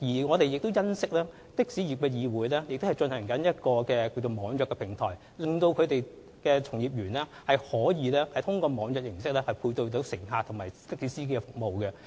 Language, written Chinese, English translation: Cantonese, 我們欣悉香港的士業議會正在構建網約平台，令從業員可以利用網約形式，配對乘客與的士服務。, We are pleased to learn that the Hong Kong Taxi Trade Council is developing an e - hailing platform thereby enabling members of the trade to match passengers with taxi services through e - hailing